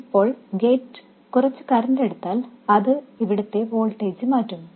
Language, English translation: Malayalam, Now if the gate draws some current that will change the voltage here